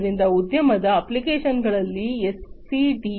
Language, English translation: Kannada, So, SCADA is very important in industry applications